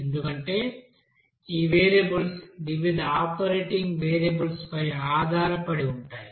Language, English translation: Telugu, Because these variables depends on different operating variables